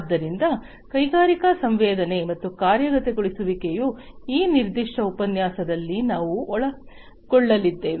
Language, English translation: Kannada, So, industrial sensing and actuation is what we are going to cover in this particular lecture